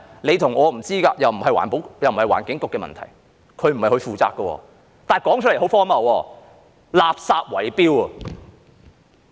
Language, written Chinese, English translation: Cantonese, 你和我也不知道，這也不是環境局的問題，不是由它負責的，但說出來是很荒謬的，是垃圾圍標。, We have no idea and this is not the business of the Environment Bureau nor is this its responsibility . But while it sounds ridiculous there will be bid rigging for waste disposal